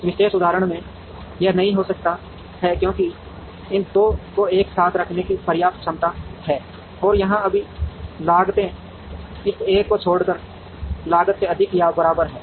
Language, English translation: Hindi, In this particular example, it may not happen, because these 2 put together have enough capacity to meet and all the costs here are greater than or equal to the cost except this one